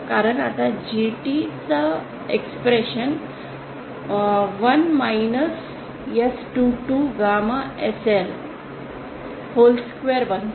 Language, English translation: Marathi, Because see now the expression for GT becomes 1 minus S22 gamma SL whole square